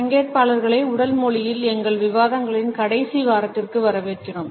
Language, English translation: Tamil, Dear participants welcome to the last week of our discussions on Body Language